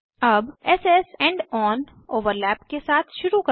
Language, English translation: Hindi, Lets start with s s end on overlap